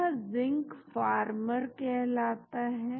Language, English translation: Hindi, That is called Zincpharmer